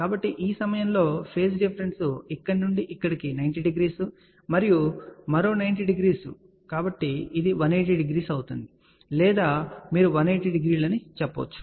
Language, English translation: Telugu, So, phase difference at this point will be from here to here 90 degree, another 90 degree so this will be minus 180 degree or you can say 180 degree